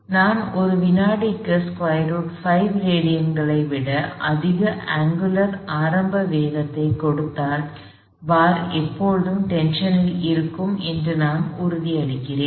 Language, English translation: Tamil, So, if I give an angular initial velocity greater than square root of 5 radians per second, then I am assured that d bar would always remain under tension